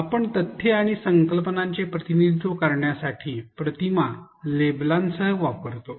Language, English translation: Marathi, We often use images with labels to represent facts and concepts